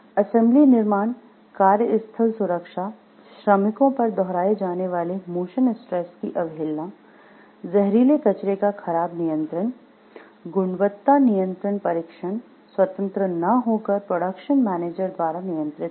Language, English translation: Hindi, Assembly constructions, workplace safety, disregard of repetitive motion stress on workers, poor control of toxic wastes, quality control testing not independent, but controlled by productions manager